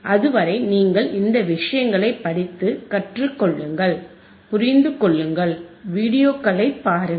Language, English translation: Tamil, Till then you take care read thisese things, learn, understand and look at the videos,